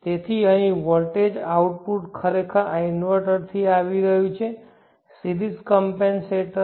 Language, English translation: Gujarati, So voltage output here is actually coming from this inventor the series compensator this is d